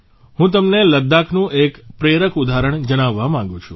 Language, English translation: Gujarati, I want to share with all of you an inspiring example of Ladakh